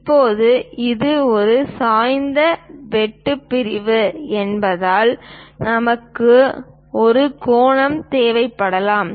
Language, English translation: Tamil, Now, because it is an inclined cut section, we may require angle